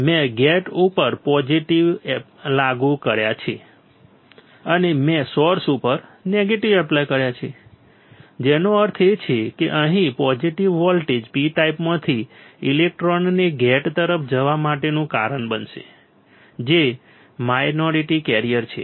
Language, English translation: Gujarati, I have applied positive to gate and I have applied negative to source that means, the positive voltage here will cause the electrons from a P type to go towards a gate right which is a minority carrier